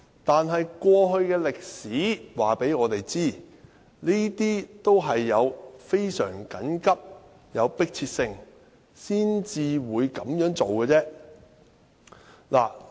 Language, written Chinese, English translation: Cantonese, 但是，歷史告訴我們，也是非常緊急和有迫切性才會這樣做。, However history tells us that it only happened because of extreme emergencies and urgency